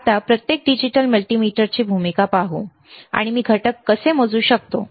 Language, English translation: Marathi, Now, let us see the role of each digital multimeter, and how I can measure the components, all right